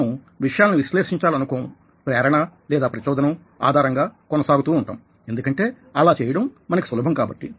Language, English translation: Telugu, we dont want to analyze things, we go on impulse because that is easier for us to do